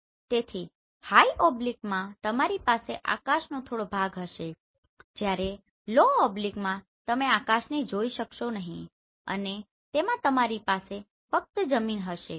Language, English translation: Gujarati, So in high oblique you will have some portion of sky whereas in low oblique you will not capture any of the sky you will have only ground